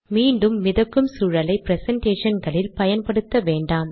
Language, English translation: Tamil, Once again do not use floated environments in presentations